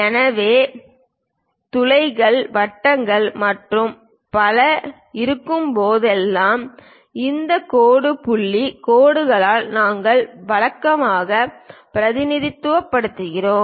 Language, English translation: Tamil, So, whenever there are holes, circles and so on, we usually represent by these dash dot lines